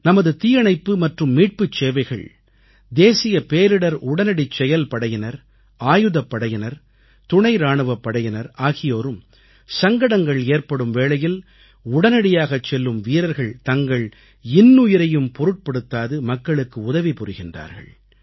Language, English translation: Tamil, Our Fire & Rescue services, National Disaster Response Forces Armed Forces, Paramilitary Forces… these brave hearts go beyond the call of duty to help people in distress, often risking their own lives